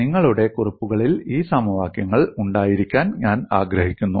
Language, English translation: Malayalam, I would like you to have these equations in your notes